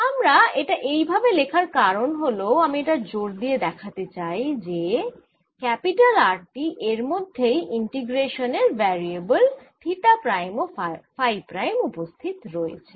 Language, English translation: Bengali, why i am writing this is because i want to emphasize that this r out here includes these theta prime and phi prime, the integration variables